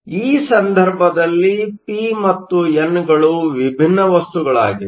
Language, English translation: Kannada, So, in this case p and n are different materials